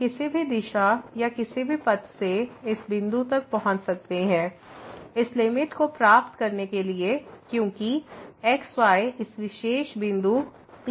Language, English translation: Hindi, We can approach from any direction and using any path to this point to get the limit as approaches to this particular point P